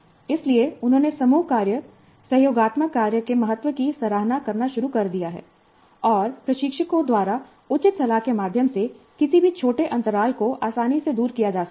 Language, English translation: Hindi, So they have begun to appreciate the importance of group work, collaborative work, and any small gaps can easily be overcome through proper mentoring by the instructors